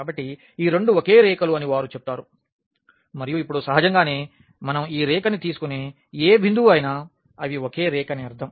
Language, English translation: Telugu, So, they say these two are the same lines and now naturally any point we take on this line I mean they are the same line